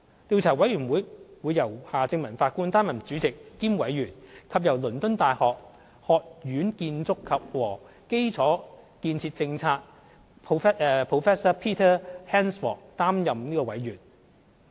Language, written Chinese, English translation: Cantonese, 調查委員會由夏正民法官擔任主席兼委員，以及由倫敦大學學院建築和基礎建設政策 Prof Peter HANSFORD 擔任委員。, The Chief Executive appointed Judge Michael HARTMANN as the commissions Chairman and Commissioner and Professor of Construction and Infrastructure Policy at University College London Prof Peter HANSFORD as Commissioner